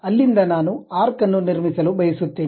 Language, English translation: Kannada, From there, I would like to really construct an arc